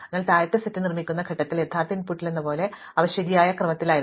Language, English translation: Malayalam, So, at the point of constructing the lower set, they were in the correct order as in the original input